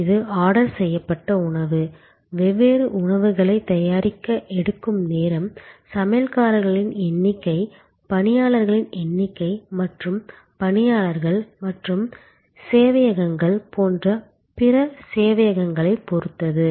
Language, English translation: Tamil, It will be also depended on the kind of food ordered, the time it takes to prepare the different dishes, the availability of the number of chefs, the availability of the number of waiters and other types of servers, like stewards and servers